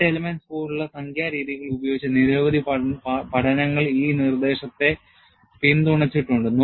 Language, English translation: Malayalam, A number of studies, using numerical methods such as finite elements, have supported this proposition